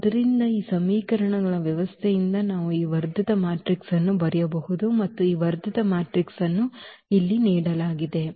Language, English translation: Kannada, So, from those, these system of equations we can write down this augmented matrix and this augmented matrix is given here